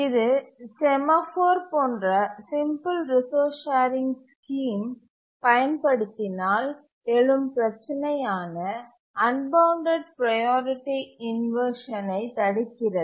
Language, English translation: Tamil, It prevents the unbounded priority inversion which is the problem that arises if we use a simple resource sharing scheme such as a semaphore